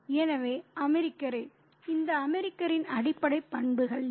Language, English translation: Tamil, So, the American, what are the basic characteristics of this American